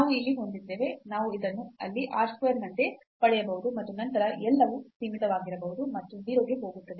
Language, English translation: Kannada, So, we have here we can get this like r square, there and then rest everything will be bounded and as r goes to 0